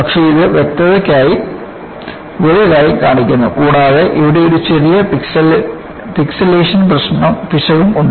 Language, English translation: Malayalam, But, it is shown big for clarity and also, there is also a small pixilation error here